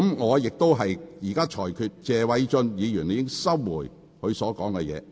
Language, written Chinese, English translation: Cantonese, 我現在裁決謝偉俊議員須收回那個用詞。, I now rule that Mr Paul TSE must retract the expression in question